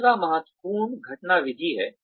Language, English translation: Hindi, The third one is critical incident method